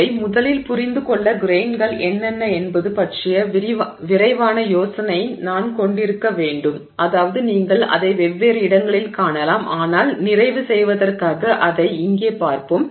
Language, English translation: Tamil, So, to understand this first of all we need to have a quick idea of what is a grain which I have, I mean which you may find at different places but for sake of completion we will just look at it here